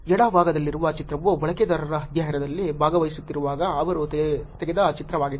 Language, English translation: Kannada, The picture on the left is the picture that they took while the user was actually participating in the study